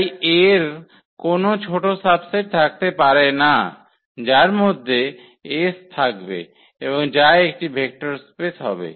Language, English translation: Bengali, So, there cannot be any smaller subset of this which contain s and is a vector space